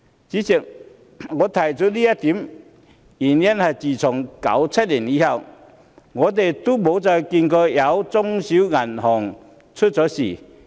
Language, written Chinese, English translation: Cantonese, 主席，我提出這一點的原因是，自1997年後，我們再也沒有看見中小型銀行出現問題。, President I have a reason for this . Since 1997 we have never seen any non - viable small and medium banks